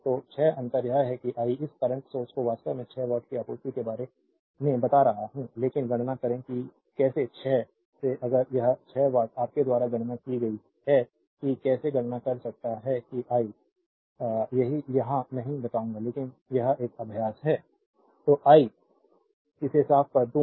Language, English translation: Hindi, So, 6 differences is there I am telling you this current source actually supplying 6 watt, but you calculate from how 6 if that 6 watt you calculate from your said the how can you calculate that I will not tell here, but it is an exercise for you right So, I am let me clean this